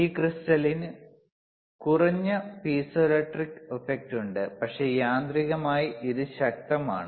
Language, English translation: Malayalam, and tThis crystal ishas atthe least piezoelectric effect, but mechanically it is robust or strongest